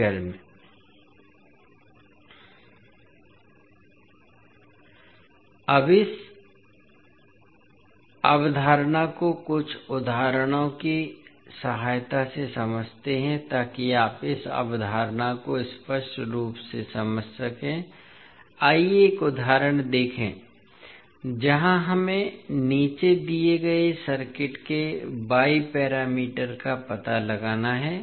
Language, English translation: Hindi, Now, let us understand this understand this particular concept with the help of few examples, so that you can understand the concept clearly, let us see one example where we have to find out the y parameters of the circuit given below